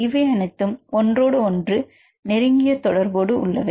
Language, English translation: Tamil, So, they are and they are interrelated with each other